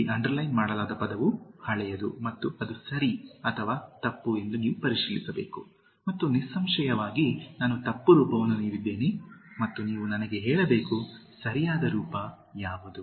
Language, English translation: Kannada, The word underlined here is older and you have to check whether it’s right or wrong and like obviously I have given the wrong form and you have to tell me, what is the right form